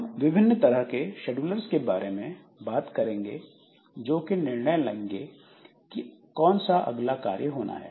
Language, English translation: Hindi, So, we'll be talking about different types of schedulers which will take a decision like which job to be executed next